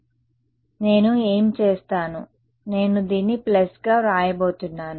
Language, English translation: Telugu, So, what I will do is I am going to write this as a plus